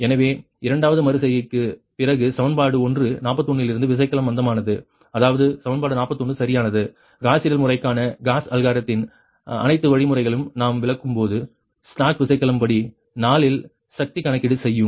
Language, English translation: Tamil, so after second iteration, slack bus power from equation one, equation forty one, right, that means this is equation forty one right we have when we are explain algorithm for the gauss algorithm, for the gauss seidel method in step four, computation of slack bus power